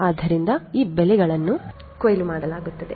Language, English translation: Kannada, So, these crops are harvested so you have harvesting